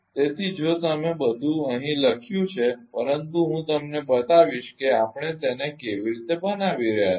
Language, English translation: Gujarati, So, if you all the everything is written here, but I will show you how we are making it